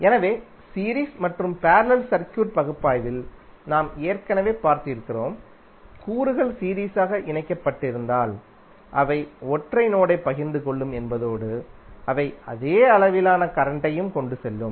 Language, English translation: Tamil, So that we have already seen in the series and parallel circuit analysis that if the elements are connected in series means they will share a single node and they will carry the same amount of current